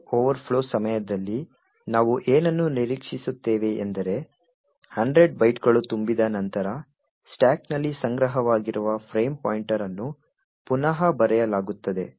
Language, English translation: Kannada, What we expect should happen during the buffer overflow is that after this 100 bytes gets filled the frame pointer which is stored in the stack will get overwritten